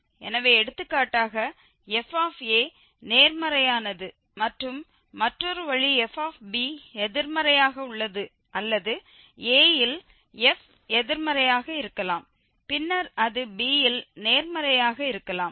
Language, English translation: Tamil, So, for instance this is a and this is b so, one for example is positive and another way it is negative or it can be negative at a and then it can be positive at b